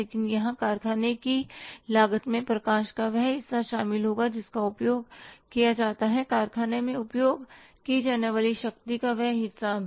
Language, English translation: Hindi, But here the factory cost will include that part of light which is used, that part of the power which is used in the factory